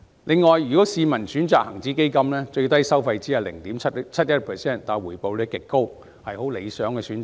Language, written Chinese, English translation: Cantonese, 此外，如市民選擇恒指基金，最低收費只需 0.71%， 但回報率極高，是很理想的選擇。, In addition the minimum charge is only 0.71 % if the public chooses the HSI Fund which is an ideal choice given the extremely high rate of return